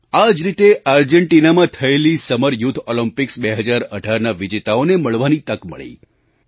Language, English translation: Gujarati, Similarly, I was blessed with a chance to meet our winners of the Summer youth Olympics 2018 held in Argentina